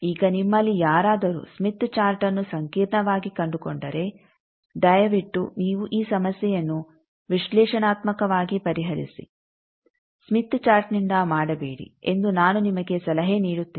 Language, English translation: Kannada, Now I will also advice you that if when you of you or finding smith chart complicated please find out you solve this problem, analytically do not do it smith chart wise